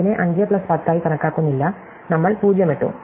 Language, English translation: Malayalam, We do not count it as 5 plus 10, we just put 0